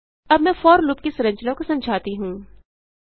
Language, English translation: Hindi, Let me explain the structure of for loop